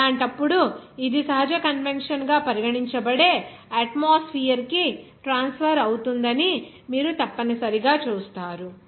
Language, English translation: Telugu, In that case, you will see necessarily that it will be transferring to the atmosphere that will be regarded as natural convection